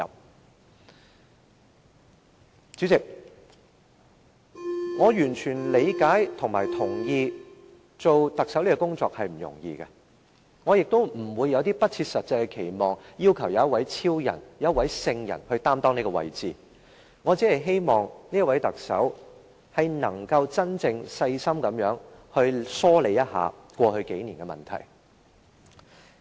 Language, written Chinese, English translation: Cantonese, 代理主席，我完全理解及認同出任特首並非易事，我亦不會有不切實際的期望，要求由一位超人或聖人擔當這個位置，我只希望這位特首能夠真正細心地疏理一下過去數年的問題。, Deputy President I fully understand and agree that it is not an easy job to serve as the Chief Executive . I will not hold any unrealistic expectation and demand this office be assumed by a superman or a saint . I merely hope that this Chief Executive can really carefully attend to the problems which have arisen over the past few years